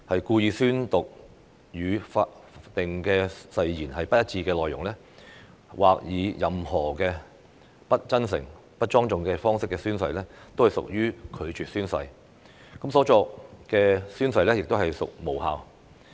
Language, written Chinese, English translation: Cantonese, 故意宣讀與法定誓言不一致的內容，或以任何不真誠、不莊重的方式宣誓，均屬拒絕宣誓，所作的宣誓亦屬無效。, If a person intentionally says words that do not accord with the wording of the oath prescribed by law or acts in a way that is not sincere or not solemn in taking the oath the person shall be regarded as declining to take the oath and the oath taken shall be deemed as invalid